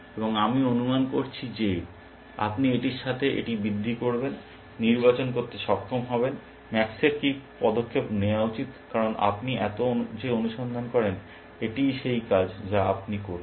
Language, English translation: Bengali, And I am assuming that you will augment this with, be able to select, what is the move that max should make, because that is really the task that you have doing, that you do this much search